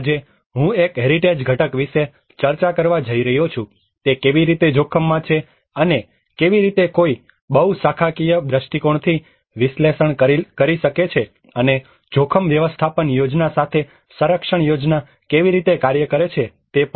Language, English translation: Gujarati, Today, I am going to discuss about a heritage component, how it is subjected to risk and how one can analyze from a very multi disciplinary perspective and also how the conservation plan works along with the risk management plan